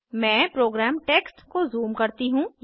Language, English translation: Hindi, Let me zoom into the program text